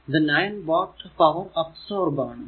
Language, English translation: Malayalam, So, 9 watt power absorbed right